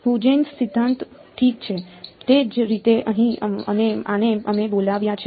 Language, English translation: Gujarati, Huygens principle ok, similarly for here and this one we called